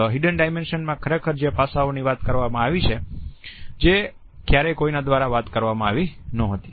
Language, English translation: Gujarati, The Hidden Dimension is in fact, the dimension which is never talked about specifically by anybody